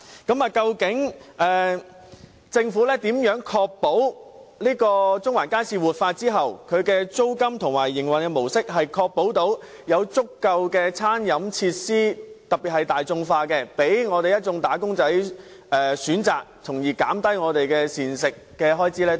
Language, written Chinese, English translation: Cantonese, 究竟政府如何確保中環街市活化後，其租金和營運模式能容許經營者提供足夠的大眾化餐飲設施，供一眾"打工仔"選擇，從而減低他們的膳食開支呢？, How will the Government ensure that after the revitalization of the Central Market Building the rents and operation mode can allow the operator to provide adequate affordable catering facilities so that these office workers can have a choice and thus spend less on their meals?